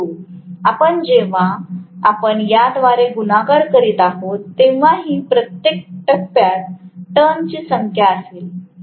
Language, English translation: Marathi, But we are, ultimately when we are multiplying by this, this will be the number of turns per phase